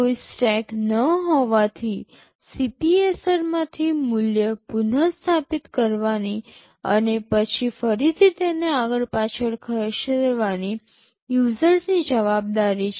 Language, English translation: Gujarati, Since there is no stack it is the users’ responsibility to restore the value from the CPSR and then again move it back and forth